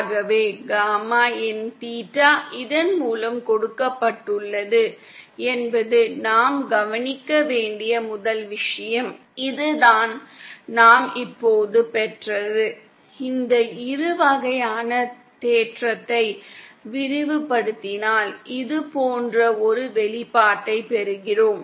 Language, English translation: Tamil, So the first thing we note that, which we note that gamma in theta is given by this, this is what we just derived and if we expand this even the binomial theorem, then we get an expression like this